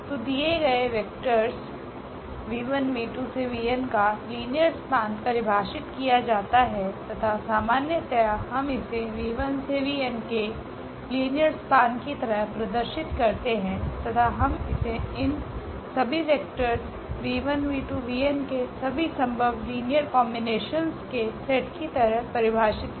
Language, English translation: Hindi, So, linear span of vectors of given vectors v 1, v 2, v 3, v n this is defined as and usually we denote as a span of this v 1, v 2, v 3, v n and we define as the set of all these linear combinations of these vectors v 1, v 2, v 3, v n